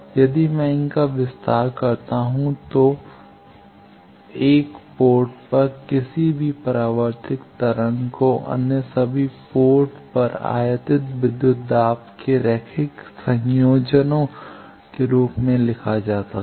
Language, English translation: Hindi, So, any reflected wave at 1 port can be written as linear combinations of incident voltages at all other ports